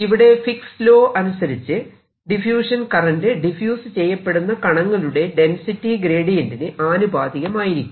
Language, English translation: Malayalam, then there is something wrong fix law that tells you that the diffusion current at any point it is proportional to gradient of the density of the particles diffusing